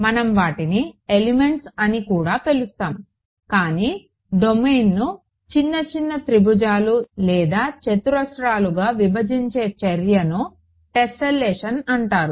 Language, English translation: Telugu, We call them elements also, but the act of breaking up a domain in to little little triangles or squares or whatever is called tesselation